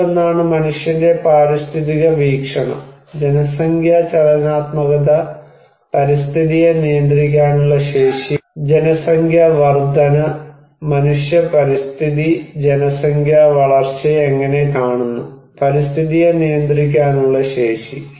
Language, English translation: Malayalam, One is human ecological perspective, population dynamics, capacity to manage the environment, population growth, and how human ecology is looking at population growth and the capacity to manage the environment